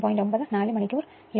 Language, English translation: Malayalam, 9 and 4 hour, at no load